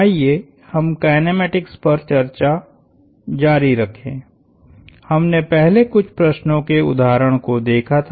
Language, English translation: Hindi, Let us continue our discussion of kinematics; we had looked at some example problems in the past